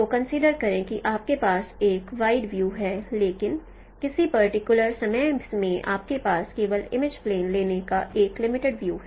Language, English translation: Hindi, So consider you have a wide view but no at a particular time you have only a limited no view of taking images